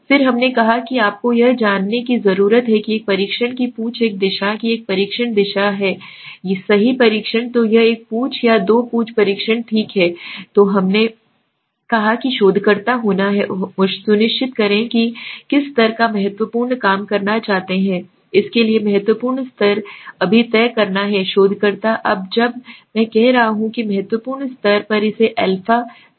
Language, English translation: Hindi, Then we said you need to you know check the tail of a test the direction of a test direction of a test right so whether it is a one tail one or two tail test okay then we said the researcher has to be sure what level of significant he wants to work right now significant level has to be decided by the researcher now when I am saying the significant level one can understand it as the a right